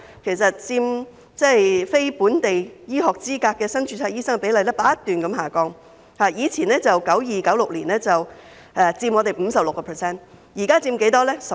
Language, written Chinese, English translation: Cantonese, 其後，持有非本地醫學資格的新增註冊醫生所佔比例不斷下降，由1992年至1996年期間的 56%， 降至近年的 13%。, Since then the share of newly registered doctors with non - local medical qualifications has been on a decline from 56 % between 1992 and 1996 to 13 % in recent years